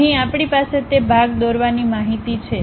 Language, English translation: Gujarati, Here we have that part drawing information